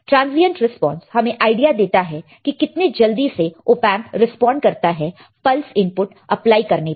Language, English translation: Hindi, Transient response is nothing, but this gives you an idea of how fast the Op amp will response to the pulse input